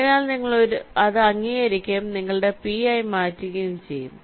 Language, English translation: Malayalam, so you accept it and make it as your p